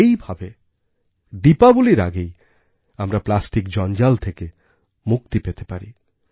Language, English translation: Bengali, This way we can accomplish our task of ensuring safe disposal of plastic waste before this Diwali